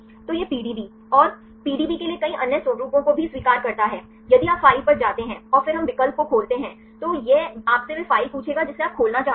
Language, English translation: Hindi, So, it accepts the PDB and also several other formats for the PDB just if you go to the file and then we take the option open, it will ask you the file which you want to open